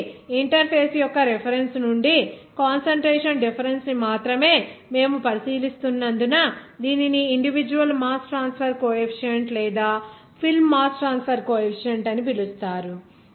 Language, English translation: Telugu, So, it is called that individual mass transfer coefficient or film mass transfer coefficient since only we are considering that concentration difference from the reference of the interface